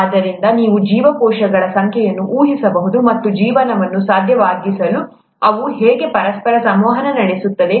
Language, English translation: Kannada, So you can imagine the number of cells and how they interact with each other to make life possible